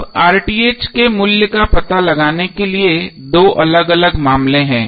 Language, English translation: Hindi, Now to find out the value of RTh there are two different cases